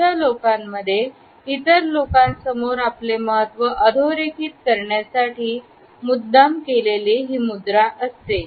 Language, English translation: Marathi, In these people, we find that it is a deliberate statement to underscore their significance in front of other people